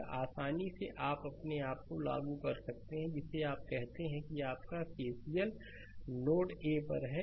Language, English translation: Hindi, This is one easily you can apply your what you call that your KCL at node a